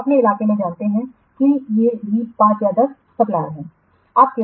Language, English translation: Hindi, You know, in your locality or so, say these are the 5 or 10 watt suppliers